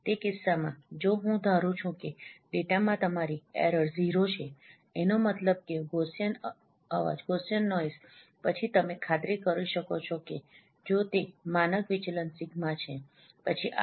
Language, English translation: Gujarati, In that case, if I assume that it is a your error in the data is a zero main Gaussian noise, then you can ensure if you and you know its standard deviation is sigma, then this threshold should be 1